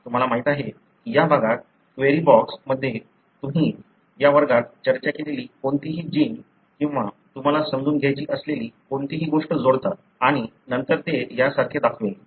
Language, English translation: Marathi, You simply, you know, in this region, in the query box you add any gene that you discussed in this class or anything that you want to understand and then it would show some display like this